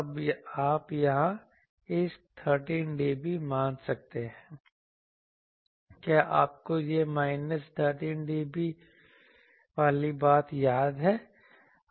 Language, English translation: Hindi, Now, you can here you can assume how this 13 dB; do you remember this minus 13 dB thing